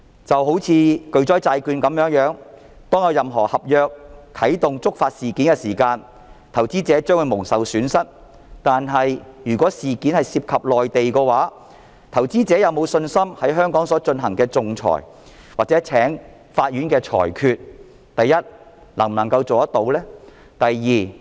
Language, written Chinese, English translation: Cantonese, 就像巨災債券，當有任何能觸發合約條文啟動的事件，投資者將會蒙受損失，但如果事件涉及內地的話，投資者有否信心在香港所進行的仲裁或法院的裁決，第一，能達成裁決？, Just like catastrophe bonds when any predefined trigger event takes place investors will suffer losses . Besides if the event is related to the Mainland will investors have confidence in the arbitration or court rulings in Hong Kong first will a ruling be made?